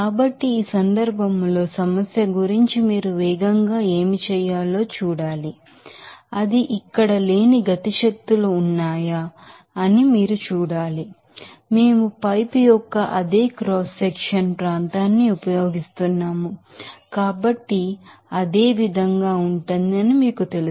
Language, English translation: Telugu, So, in this case what you have to do fast as for the problem you have to see whether that is there any kinetic energies they are not here velocity you know that will be same since we are using that the same cross sectional area of the pipe